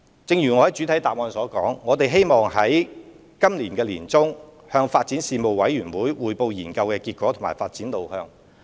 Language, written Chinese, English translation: Cantonese, 一如我在主體答覆所說，我們希望在今年年中向發展事務委員會匯報研究的結果及發展路向。, As I have said in the main reply we hope to brief the Panel on Development by the middle of this year on the findings and way forward